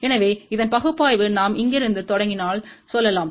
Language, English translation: Tamil, So, the analysis of this is let us say if we start from here